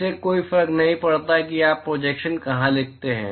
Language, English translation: Hindi, It does not matter where you write the projection